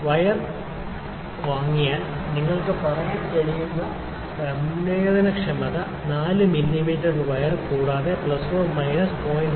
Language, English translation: Malayalam, So, the sensitivity you can say if the wire is purchased 4 mm is the wire and plus minus 0